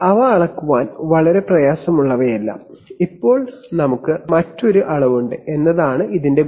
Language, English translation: Malayalam, They are not very difficult to measure, the advantage is that now we have another measurement